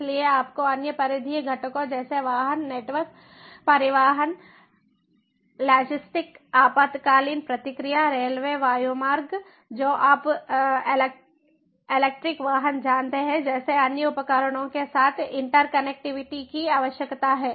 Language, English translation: Hindi, so you need to have interconnectivity with the other peripheral components like vehicular networks, transportation, logistic, emergency response, railways, airways, you know, electric vehicles and so on